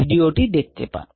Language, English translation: Bengali, the videos here